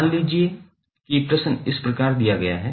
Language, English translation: Hindi, Suppose the question is given like this